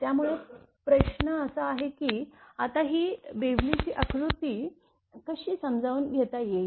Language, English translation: Marathi, So, that question is that how to understand this Bewley’s diagram right